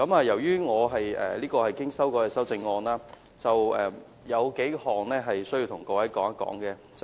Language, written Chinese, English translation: Cantonese, 由於這項是經修改的修正案，有數點我需要向各位說明。, As it is a revised amendment I need to explain to Members a few points